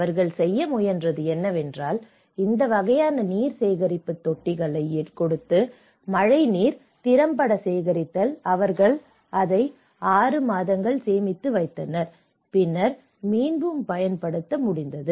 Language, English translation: Tamil, So, what they tried to do is; so they try to give this kind of tanks; water collection tanks and collecting the rainwater and they keep it for 6 months, they storage it for 6 months and then able to reuse so, this is a kind of technology which they have developed